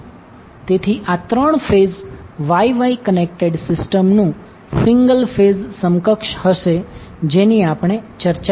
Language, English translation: Gujarati, So this will be single phase equivalent of the three phase Y Y connected system which we discussed